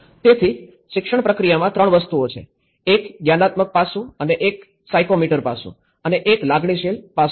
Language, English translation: Gujarati, So, in an education process, there are 3 things; one is the cognitive aspects and the psychomotor aspects and the affective aspects